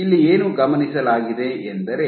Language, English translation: Kannada, So, what has been observed